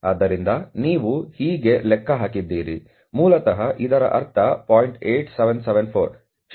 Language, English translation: Kannada, So, this is how you have calculated